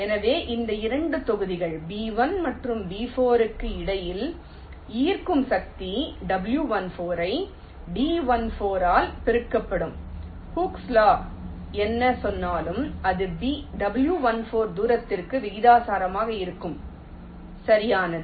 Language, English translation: Tamil, so the force of attraction between these two blocks, b one and b four, will be w one four multiplied by d one four, just exactly like hookes law, whatever it says, it will be proportional to the distance